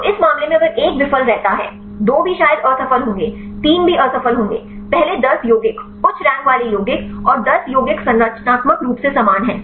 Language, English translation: Hindi, So, in this case if 1 fails; 2 will also probably fail, 3 will also fail; first 10 compounds, the high ranked compounds and 10 compounds are structurally similar